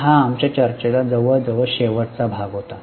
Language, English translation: Marathi, So, this was almost the last part of our discussion